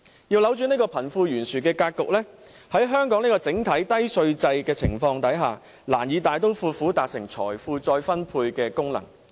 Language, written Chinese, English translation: Cantonese, 要扭轉貧富懸殊的格局，在香港這個整體低稅制度的情況下，難以大刀闊斧達成財富再分配的功能。, Even if we want to reverse the disparity between the rich and the poor we can hardly take any drastic measures to achieve wealth redistribution under the overall low - tax regime in Hong Kong